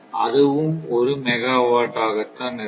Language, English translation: Tamil, So, USS also will be one megawatt